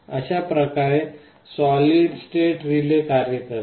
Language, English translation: Marathi, This is how solid state relay works